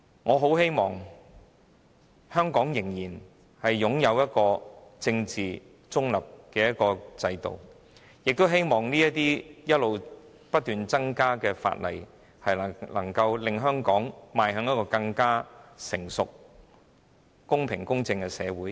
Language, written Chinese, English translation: Cantonese, 我很希望香港能夠繼續擁有政治中立的制度，亦希望不斷新增的法例能令香港成為更成熟、公平、公正的社會。, I very much hope that Hong Kong can maintain a politically neutral system and that the newly enacted legislation will help Hong Kong become a more mature fair and just society